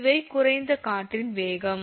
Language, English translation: Tamil, So, this wind speed is a low wind speed